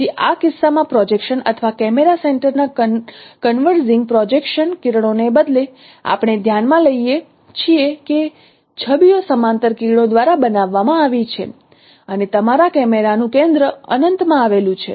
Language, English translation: Gujarati, So in this case, instead of a converging projection rays on a center of projection or camera center, we consider the images are formed by parallel rays and your center of camera lies at a at an infinity